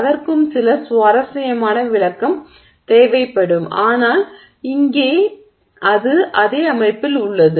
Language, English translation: Tamil, Even that would require some interesting explanation but here let's say if that is within the same system